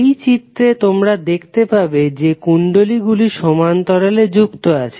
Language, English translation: Bengali, So in this figure you will see that these inductors are connected in parallel